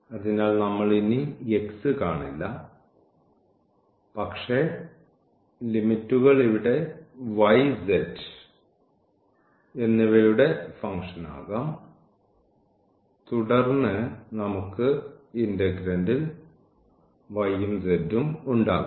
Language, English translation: Malayalam, So, we will not see x anymore, but the limits can be here the function of y z here can be the function of y z and then we will have also the y z in the integrand